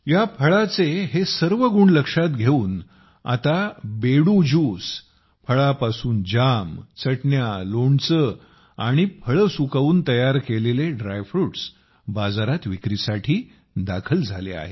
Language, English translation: Marathi, In view of these qualities of this fruit, now the juice of Bedu, jams, chutneys, pickles and dry fruits prepared by drying them have been launched in the market